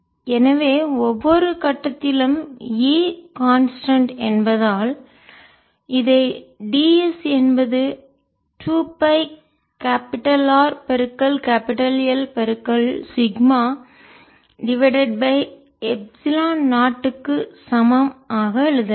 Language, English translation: Tamil, so because e is constant at every point, we can write this as d s equal to two pi capital r into capital l into sigma over epsilon naught